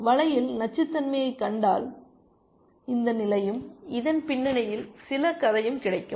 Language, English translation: Tamil, So, if you just look up poisoned rook on the web, you will get this position and some story behind this essentially